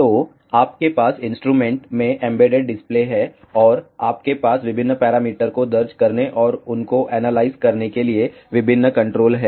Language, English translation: Hindi, So, you have an embedded display, your various controls to enter and analyze different parameters